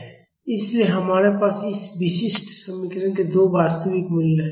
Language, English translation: Hindi, So, we have two real roots for this characteristic equation